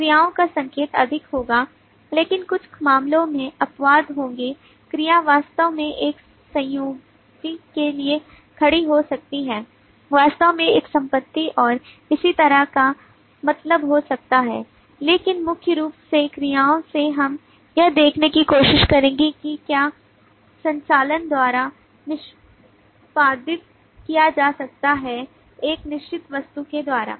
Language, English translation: Hindi, verb would be more indicative of actions, but there would be exceptions in some cases verb may actually stand for a connective may actually (()) (00:04:38) property and so on, but primarily from the verb which we will try to see is what operations can be executed by a certain object